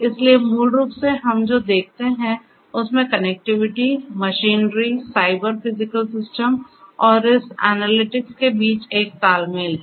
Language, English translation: Hindi, So, basically what we see is there is an interplay between the connectivity, the machinery, the Cyber Physical Systems and this analytics